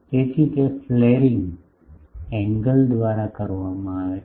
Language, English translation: Gujarati, So, that flaring is done by an angle